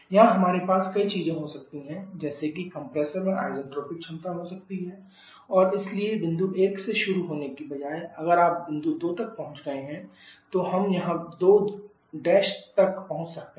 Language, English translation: Hindi, Here, we can have several things like the compressor can have isentropic efficiencies and therefore instead of starting from point 1 is you have reaching point 2 we may reach somewhere here 2 Prime